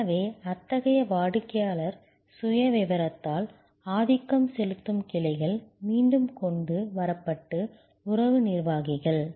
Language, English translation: Tamil, So, branches dominated by such customer profile brought back they are relationship executive